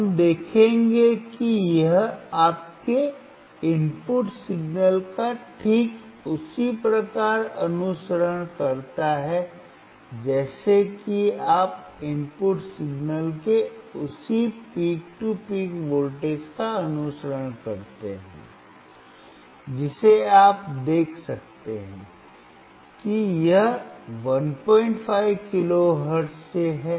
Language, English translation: Hindi, We will see it exactly follows your input signal it follows the same peak to peak voltage of an input signal you can see it is from 1